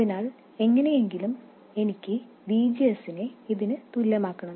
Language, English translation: Malayalam, So, somehow I have to make VGS to be equal to this